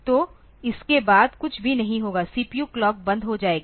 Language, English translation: Hindi, So, that will be after that nothing more will happen the CPU clock is gated off